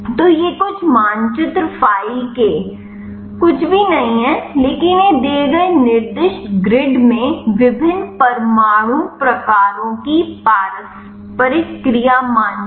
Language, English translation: Hindi, So, these are the some of the map file nothing, but these are the interaction mapping of the different atom types in the given specified grid